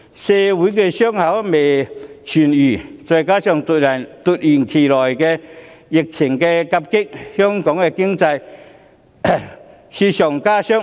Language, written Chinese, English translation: Cantonese, 社會的傷口未痊癒，再加上最近突如其來的疫情夾擊，令香港的經濟雪上加霜。, While the wounds of society are yet to be healed the sudden onset of the recent epidemic has added to the misfortunes of our economy